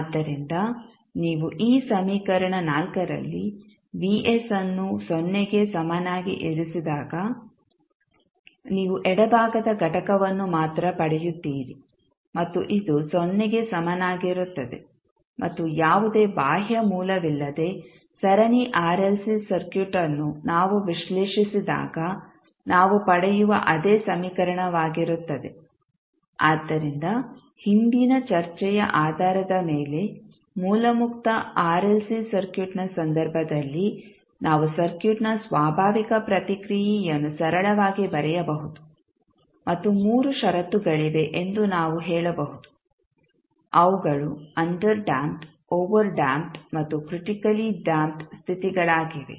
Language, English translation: Kannada, Now you can see that the total response can be written as the force response that is vft plus natural response that is vnt, now to find the natural response what you need to do you have to set the value Vs equal to 0, so when you put the Vs value Vs equal to 0 in this equation, so you will get only the left side component and this would be equal to 0 and this is same equation which we get when we analyze the series RLC circuit without any external source, so based on the previous discussion in case of source free RLC circuit we can write simply the natural response of the circuit and we can also say that there are three conditions which are underdamped, overdamped and critically damped cases